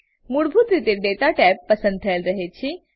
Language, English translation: Gujarati, By default, Data tab is selected